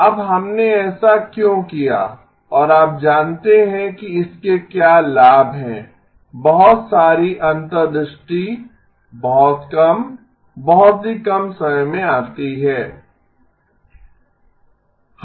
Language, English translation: Hindi, Now why did we do this and you know what are the benefits of this, lot of the insights comes in a very, very short time